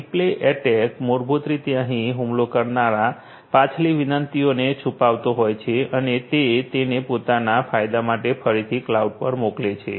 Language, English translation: Gujarati, Replay attack basically here the attacker eavesdrops the previous requests and sends it again to the cloud for her own benefit